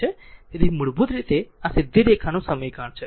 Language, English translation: Gujarati, So, basically this is equation of straight line